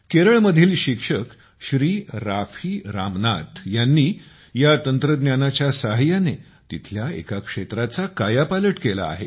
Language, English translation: Marathi, Shriman Raafi Ramnath, a teacher from Kerala, changed the scenario of the area with this technique